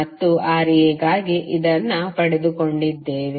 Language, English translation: Kannada, And this is what we got for Ra